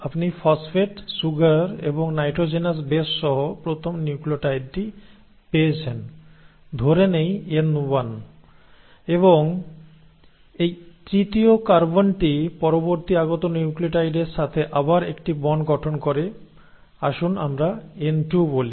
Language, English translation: Bengali, You get the first nucleotide, with its phosphate, with its sugar and with its nitrogenous base let us say N1, and this forms, this third carbon forms again a bond with the next incoming nucleotide, let us say N2